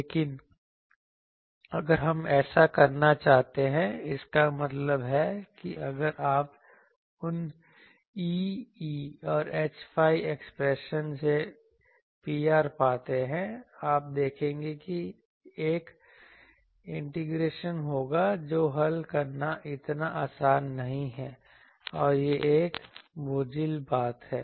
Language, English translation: Hindi, But, if we want to do that; that means you find the P r from those E theta H phi expressions, you will see that there will be an integration coming which is not so easy to solve which a cumbersome thing